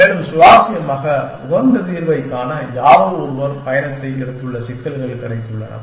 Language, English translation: Tamil, And more interestingly, it has got problems in which somebody has taken the travel to find the optimal solution